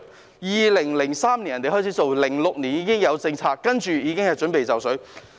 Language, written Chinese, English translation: Cantonese, 別人在2003年開始做，在2006年已經有政策，現在已經準備就緒。, They started in 2003 and came up with the relevant policies in 2006 . Now they are ready for implementation